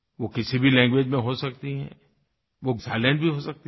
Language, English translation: Hindi, It can be in any language; it could be silent too